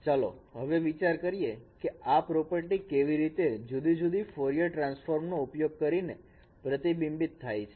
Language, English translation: Gujarati, Let us consider how this property is reflected using discrete Fourier transfer